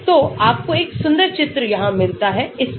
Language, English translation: Hindi, So, you get a beautiful picture here on this